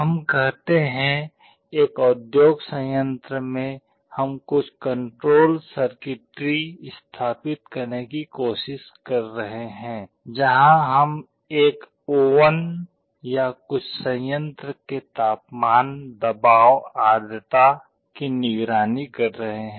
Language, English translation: Hindi, Let us say, in an industrial plant we are trying to implement some control circuitry, where we are monitoring the temperature, pressure, humidity of a oven or some plant